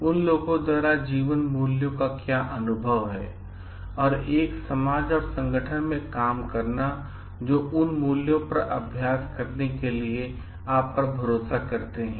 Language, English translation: Hindi, What is the experience of living by those values and working in a society and organization that trust you to practice those values